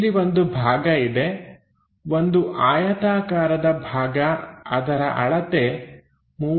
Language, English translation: Kannada, So, here we have a block, a rectangular block of 30 mm by 30 mm by 30 mm